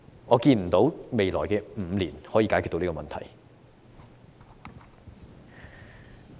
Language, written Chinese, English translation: Cantonese, 我看不到未來5年可以解決這個問題。, I do not foresee that this problem can be resolved in the next five years